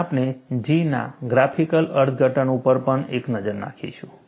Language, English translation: Gujarati, And we will also have a look at, graphical interpretation of J